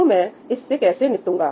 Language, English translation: Hindi, So, how do I deal with that